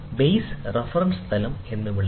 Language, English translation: Malayalam, The base called the reference plane